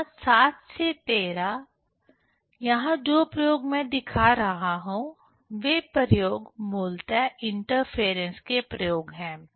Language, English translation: Hindi, Here 7 to 13, the experiments here I am showing, so those experiments are basically the experiments of interference